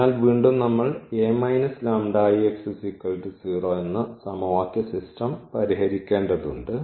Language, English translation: Malayalam, So, we need to solve this equation, so how to get this one